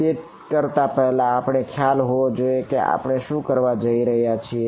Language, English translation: Gujarati, Before we do that we should have an idea of what we are going to do